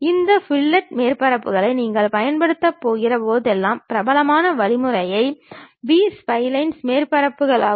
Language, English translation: Tamil, Whenever, you are going to use these fillet surfaces, the popular way of using is B spline surfaces one can really use it